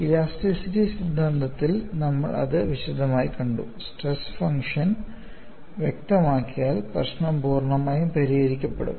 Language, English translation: Malayalam, We have seen elaborately, certain theory of elasticity; once the stress function is specified, the problem is completely solved